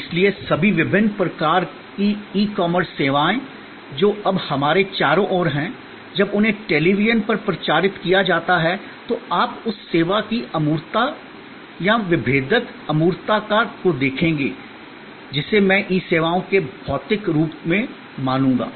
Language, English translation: Hindi, So, all the different kinds of e commerce services that are now all around us, when they are promoted on the television, you will see the abstractness of that service or the differentiating abstractness I would say of the e services as suppose to physical services are depicted through different episodes